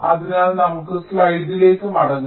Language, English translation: Malayalam, so let us go back to the slide